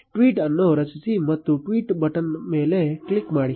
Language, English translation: Kannada, Compose a tweet and simply click on the tweet button